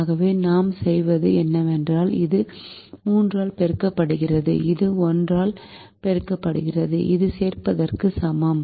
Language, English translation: Tamil, so what we do is this is multiplied by three and this is multiplied by one, which is the same as adding it